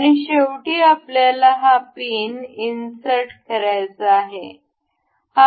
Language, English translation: Marathi, And in the end we, can we have to insert this pin